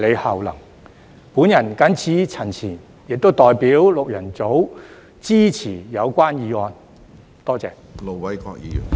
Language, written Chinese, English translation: Cantonese, 我謹此陳辭，亦代表六人組支持議案。, With these remarks I also support the motion on behalf of the six - member group